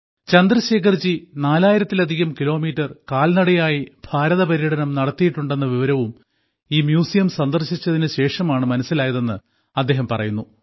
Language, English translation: Malayalam, Sarthak ji also came to know only after coming to this museum that Chandrashekhar ji had undertaken the historic Bharat Yatra, walking more than 4 thousand kilometers